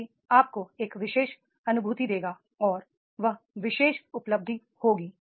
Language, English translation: Hindi, That will also give you a particular feeling and that particular sense of achievement